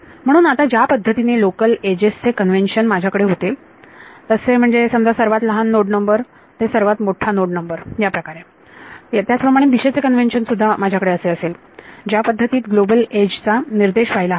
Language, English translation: Marathi, So, now, just as I had a convention for local edges, that let us say from smaller node number to larger node number, similarly I can have a convention for the direction in which a global edge should point